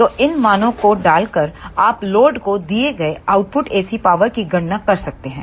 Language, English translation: Hindi, So, by putting these values you can calculate the output AC power delivered to the load